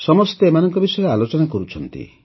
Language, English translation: Odia, Everyone is talking about them